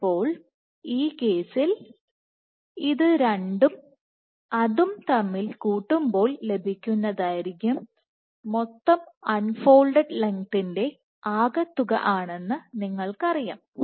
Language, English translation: Malayalam, So, this case you know that for these 2 put together you must get the overall unfolded length